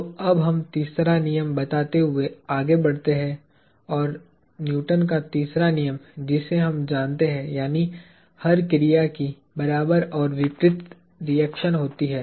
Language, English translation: Hindi, So, let us now move on to stating the third law; Newton’s third law that we know; that says that, every action has an equivalent and opposite reaction